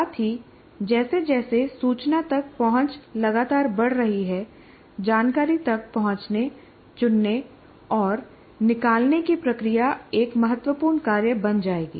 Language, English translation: Hindi, And also as access to information is continuously increasing, the process of accessing, choosing, and distilling information will become a major task